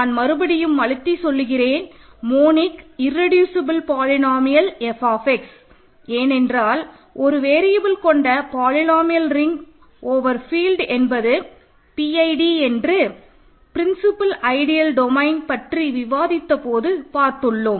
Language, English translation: Tamil, So, I will emphasize this words monic irreducible polynomial f of x, this is because when we discussed PID principal ideal domain we saw that polynomial ring in one variable over a field is what is called a PID